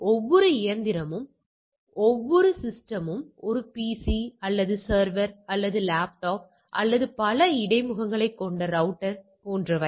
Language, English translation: Tamil, Every machine every system whether it is a PC or server or laptop or a router with multiple interfaces we come to that router etcetera